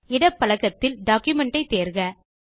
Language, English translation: Tamil, In the left pane, select Document